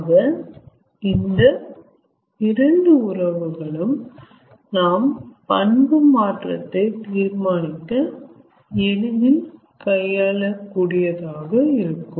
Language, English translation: Tamil, so these two relationships are very handy in determining change of property